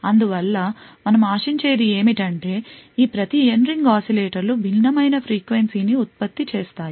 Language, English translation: Telugu, Therefore what is expected is that each of these N ring oscillators would produce a frequency that is different